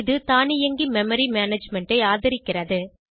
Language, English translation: Tamil, It supports automatic memory management